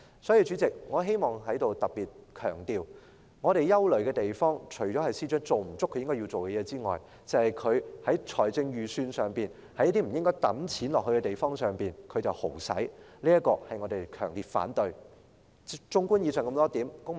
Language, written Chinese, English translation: Cantonese, 代理主席，我希望在此特別強調，我們憂慮的地方，除了是司長未做足他要做的事之外，還有他在財政預算案中，把公帑揮霍在不應花錢的地方上，我們對此表示強烈反對。, Deputy Chairman I wish to highlight here that our concerns lie in not just the Secretarys failure to fulfil his duties but also the squandering of public funds in his Budget which we strongly oppose